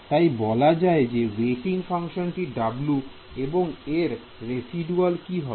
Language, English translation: Bengali, So, let us call the weighting function w and what is the residual in this case